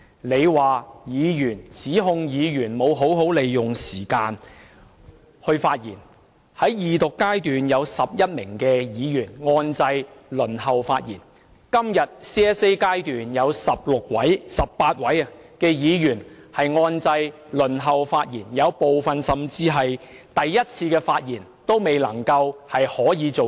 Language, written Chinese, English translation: Cantonese, 你指控議員沒有好好利用時間發言，其實有11位議員在二讀階段按掣輪候發言，今天也有18位議員在 CSA 階段按掣輪候發言，但部分議員甚至連首次發言的機會也沒有。, You accused Members of failing to make good use of their time to speak . In fact during the Second Reading stage 11 Members pressed the button to wait for their turn to speak . Today 18 Members had pressed the button to wait for their turn to speak during the Committee stage but some of them were not given the opportunity to speak for even the first time